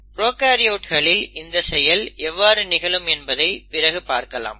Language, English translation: Tamil, We will also see how it happens in prokaryotes in a bit